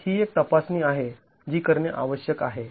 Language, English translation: Marathi, So, this is a check that needs to be carried out